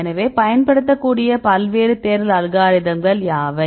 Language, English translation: Tamil, So, what are the various search algorithms you can use